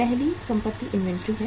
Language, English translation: Hindi, First asset is the inventory